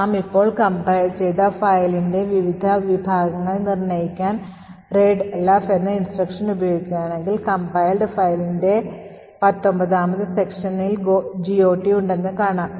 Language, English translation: Malayalam, If we use readelf to determine the various sections of the eroded file that we have just compiled, we see that the 19th section has the GOT table